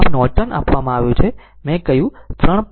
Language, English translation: Gujarati, So, Norton is given I told you 3